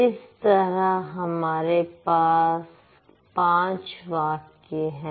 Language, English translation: Hindi, So, this is a sentence